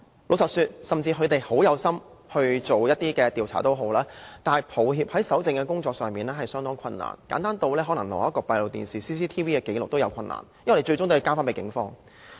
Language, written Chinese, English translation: Cantonese, 老實說，即使有關方面有心調查，很抱歉，搜證是相當困難的，簡單如取得閉路電視的紀錄也有困難，因為最終也要交回給警方。, Frankly even if the authorities concerned have the intention to investigate these cases sorry the collection of evidence is difficult because in such a simple task of obtaining CCTV records the records will be returned to the police eventually